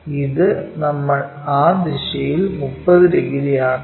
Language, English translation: Malayalam, This one we have to make it 30 degrees in that direction